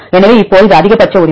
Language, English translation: Tamil, So, now, this is maximum right